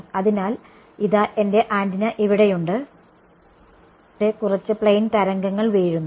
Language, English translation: Malayalam, So, here is my antenna over here and there is some plane wave falling on it over here